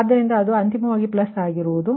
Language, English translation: Kannada, so ultimately it will be your plus